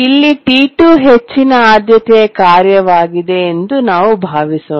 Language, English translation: Kannada, Let's assume that task T1 is a high priority task